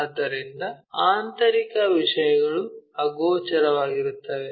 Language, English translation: Kannada, So, internal things are invisible